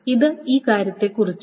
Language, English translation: Malayalam, That is this thing